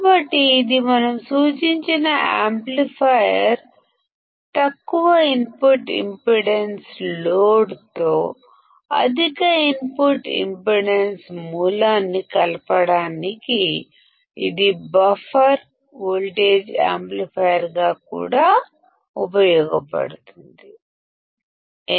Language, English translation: Telugu, So, this is our indicated amplifier; it is also used as a buffer voltage amplifier to connect a source with high input impedance to a low output impedance load; why